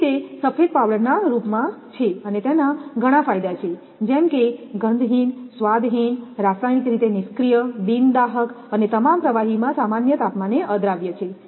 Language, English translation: Gujarati, So, it is in the form of a white powder, the advantages is, which is odorless, tasteless, chemically inert, non inflammable and insoluble at ordinary temperature in all liquids